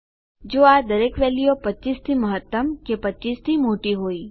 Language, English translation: Gujarati, If each of these values is greater than 25 or bigger than 25